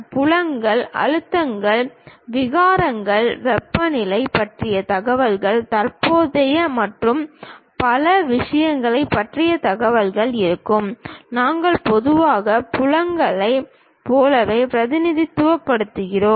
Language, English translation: Tamil, There will be fields, information about stresses, strains, temperature perhaps the information about current and many other things, we usually represent like fields